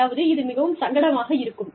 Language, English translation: Tamil, I mean, it is very uncomfortable